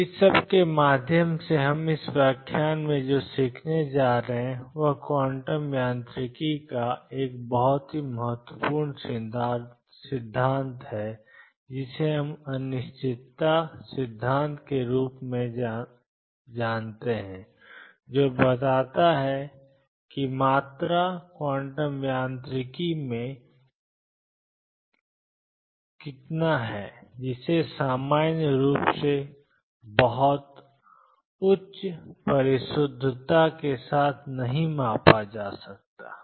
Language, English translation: Hindi, What we are going to learn in this lecture through all this is a very important principle of quantum mechanics known as the uncertainty principle which states that quantity is in quantum mechanics cannot be measured in general with very high precision